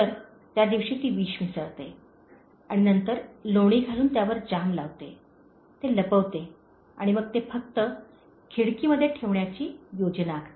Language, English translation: Marathi, So, she mixes poison on that day and then puts butter and jam over it, conceals it and then she just plans to keep it in the window